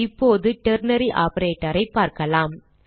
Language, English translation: Tamil, Now we shall look at the ternary operator